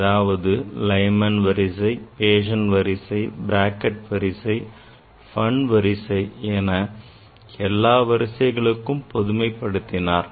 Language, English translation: Tamil, So that means, Lyman series then Paschen series, Brackett series, Pfund series